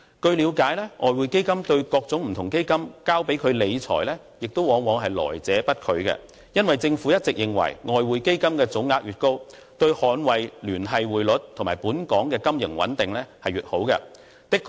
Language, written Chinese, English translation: Cantonese, 據了解，外匯基金對各種基金交付理財往往來者不拒，因為政府一直認為外匯基金的總額越高，對捍衞聯繫匯率及本港金融穩定越有益處。, As far as we know the Exchange Fund never rejects placements by public funds for capital management because the Government is of the view that the more financial assets the Exchange Fund holds the stronger it will be in defending the linked exchange rate system and in maintaining the financial stability of Hong Kong